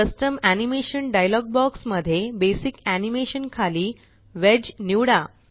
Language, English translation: Marathi, In the Custom Animation dialog box that appears, under Basic Animation, select Wedge